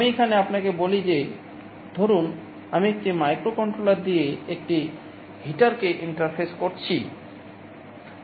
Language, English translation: Bengali, Let me tell you here suppose I am interfacing a heater with a microcontroller